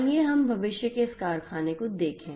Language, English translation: Hindi, Let us look at this factory of the future